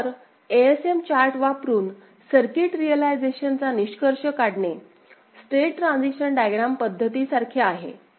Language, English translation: Marathi, So, to conclude circuit realization using ASM chart is similar to state transition diagram method ok